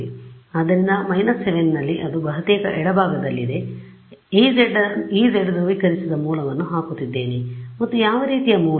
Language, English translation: Kannada, So, at minus 7 that is at the almost at the left most part I am putting E z polarised source and what kind of a source